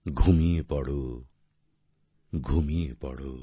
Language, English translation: Bengali, Go to sleep, Go to sleep,